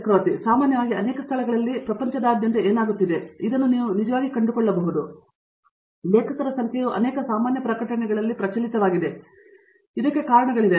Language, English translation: Kannada, So, typically what is happening across the world in many places and you might find this actually, the number of authors is kind of proliferating in many general publications for and there is reason for this